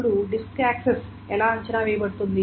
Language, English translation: Telugu, Now how can the disk access be estimated